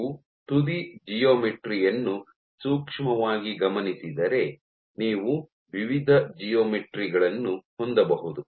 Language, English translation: Kannada, So, you can if you look closely at the tip geometry you can have various different geometries